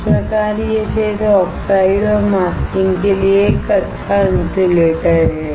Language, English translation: Hindi, Thus, it is a good insulator for field oxides and masking